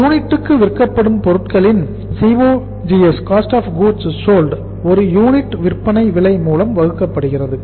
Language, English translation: Tamil, COGS cost of goods sold per unit divided by the selling price per unit